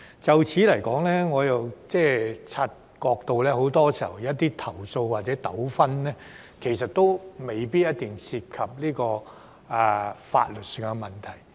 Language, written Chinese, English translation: Cantonese, 就此，我又察覺到，很多時候有些投訴或者糾紛，其實未必一定涉及法律上的問題。, In this connection I have also noticed that many complaints or disputes may not necessarily involve legal issues